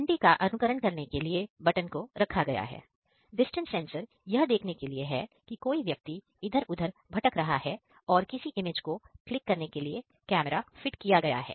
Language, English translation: Hindi, So, the button is put inside to simulate a bell, the distance sensor is for observing if someone is wandering around and there is a camera for clicking an image